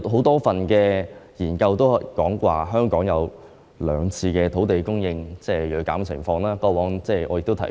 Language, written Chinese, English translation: Cantonese, 多份研究均指出，香港有兩次土地供應銳減的情況，過往我也曾提及。, A number of studies have pointed out that a drastic fall in land supply happened twice in Hong Kong and I have talked about this before